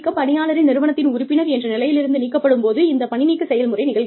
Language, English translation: Tamil, Separation occurs, when an employee ceases to be, a member of the organization